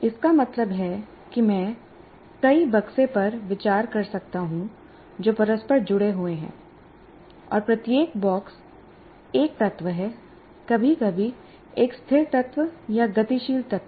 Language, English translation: Hindi, That means I can consider several boxes which are interconnected and each box is an element, sometimes a static element or a dynamic element